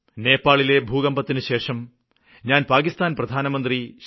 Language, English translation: Malayalam, After the Nepal earthquake I talked to Pakistan's Prime Minister Nawaz Sharif